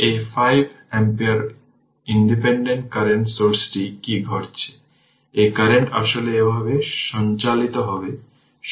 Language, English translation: Bengali, So, then what is happening this 5 ampere independent current source this current actually you will circulate like this right